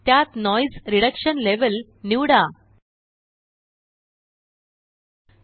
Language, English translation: Marathi, Choose the Noise Reduction Level